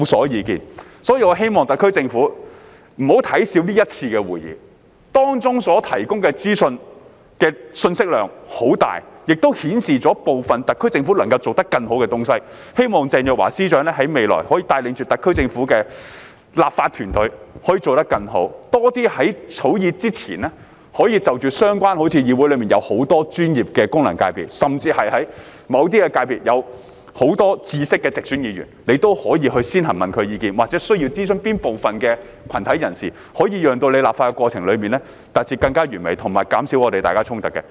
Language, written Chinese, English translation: Cantonese, 因此，本人希望特區政府不要小看這一次的會議，當中所提供的資訊的信息量很大，亦顯示出部分特區政府能夠做得更好的東西，希望鄭若驊司長在未來可以帶領着特區政府的立法團隊，可以做得更好，多些在政府草擬法案之前就着相關問題，與議會內很多的專業的功能界別，甚至在某些界別內具有豐富知識的直選議員，先行詢問他們的意見，又或看看需要諮詢哪部分的群體人士，從而讓立法過程達至更完美，以及減少大家之間的衝突。, Therefore I hope that the SAR Government should not underestimate the one meeting as the material provided in the meeting is very informative and it also shows that the SAR Government can do better in some aspects . I hope that Secretary for Justice Teresa CHENG can lead the law - drafting team of the SAR Government to do better in the future by consulting many more professional functional constituencies and even directly - elected Members who have extensive knowledge in certain sectors before the Government starts to draft bills or to identify which groups to be consulted so that the legislative process can be refined and the conflicts among different parties can be minimized